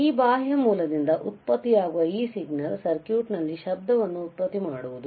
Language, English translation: Kannada, Then this signal that is generated from this external source may introduce a noise in this circuit